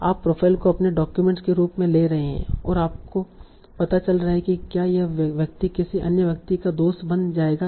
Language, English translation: Hindi, So you are taking the profile as your documents and you're finding out if this person will become a friend of another person